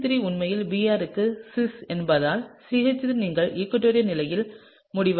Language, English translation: Tamil, And because the CH3 is actually cis to the Br, the CH3 you would end up in the equatorial position, right